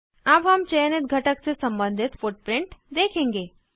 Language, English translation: Hindi, We will now view footprint corresponding to the selected component